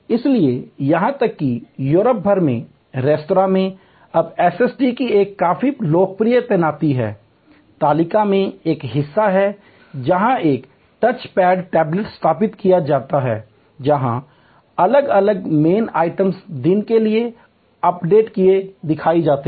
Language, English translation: Hindi, So, even in restaurants across Europe, now a quite popular deployment of SST is the table itself has a portion, where a touch pad tablet is installed, where all the different menu items are shown with a updates for the day